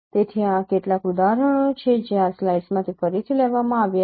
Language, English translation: Gujarati, So these are some examples which are again taken from this slides